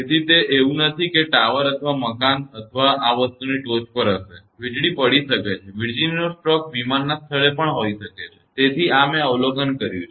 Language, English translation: Gujarati, So, it is not like that it will be on the top of the tower or building or this thing; lightning can happen, lightening stroke can happen even in the plane place also; so, this I have observed this one